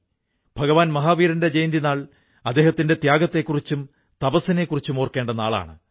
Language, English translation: Malayalam, The day of Bhagwan Mahavir's birth anniversary is a day to remember his sacrifice and penance